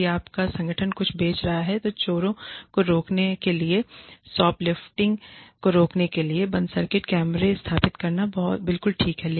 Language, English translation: Hindi, If your organization is selling something, then it is absolutely okay, to install closed circuit cameras, to prevent shoplifting, to prevent thieves